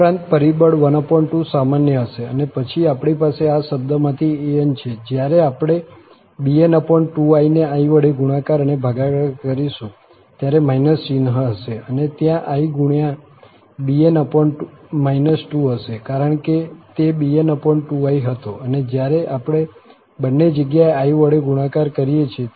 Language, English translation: Gujarati, Also, the factor half will be common and then we have an from this term and when we multiply and divide by i, so, this will become minus sign there but there will be i times bn, because it was bn over 2i, and when we multiply i both the places